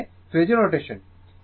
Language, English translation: Bengali, That means, my phasor notation